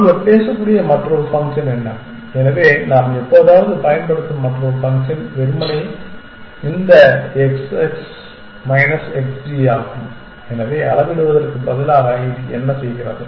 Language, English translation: Tamil, What is the other function that one can talk about, so another function that we use sometime is simply this x s minus x g, so what is this doing instead of measuring